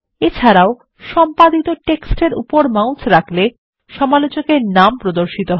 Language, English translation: Bengali, Of course, hovering the mouse over the edited text will display the name of the reviewer